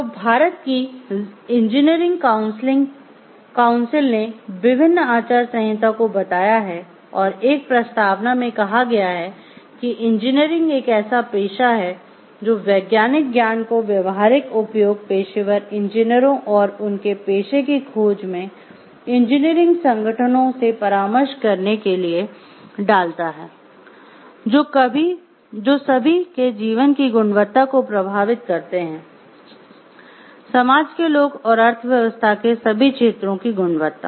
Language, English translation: Hindi, So, engineering council of India has stated various codes of ethics and in a preamble it states engineering is a profession that puts scientific knowledge to practical use, professional engineers and consulting engineering organizations in the pursuit of their profession affect the quality of life of all people in the society and quality of all sectors of economy